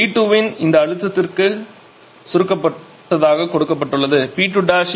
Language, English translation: Tamil, So, it is given that it is compressed to this pressure of P 2 prime which is 1